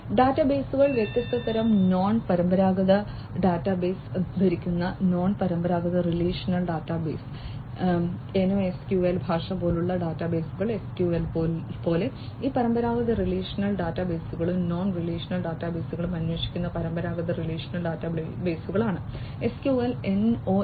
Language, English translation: Malayalam, Databases, databases of different types non traditional database wearing non traditional relational database, like NoSQL language is there; like SQL, SQL is for the you know traditional relational databases use with querying this traditional relational databases and for non relational databases